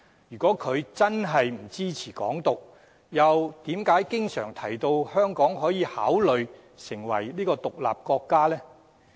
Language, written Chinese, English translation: Cantonese, 如果他真的不支持"港獨"，又為何經常提到香港可以考慮成立獨立國家呢？, If he really does not support Hong Kong independence why does he often propose that Hong Kong may consider becoming an independent state?